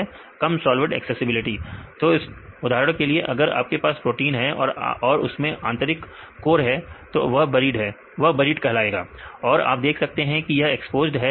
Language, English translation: Hindi, low solvent accessibility So, for example, if you if you have a protein right some of them are interior core right this is called the buried and you can see this is the exposed